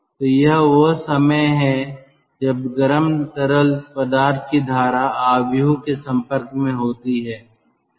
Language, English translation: Hindi, so this is the time the ah hot fluid stream is in contact with the matrix